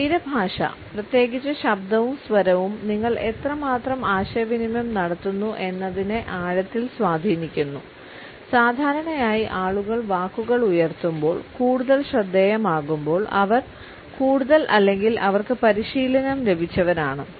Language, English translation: Malayalam, Body language in particularly voice tone have a profound effects on how well you communicate, normally as people rise up the words the more noticeable they are the more or likely they have coaching